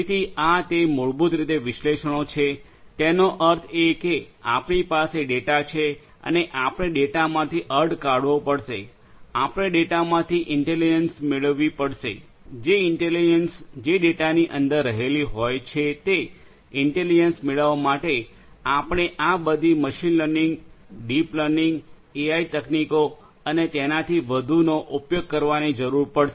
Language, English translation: Gujarati, So, that is basically the analytics; that means, you have the data and you have to make sense out of the data; you have to get intelligence out of the data, the intelligence that is latent inside the data you have to get that intelligence out for that you need to use all these machine learning, deep learning AI techniques and so on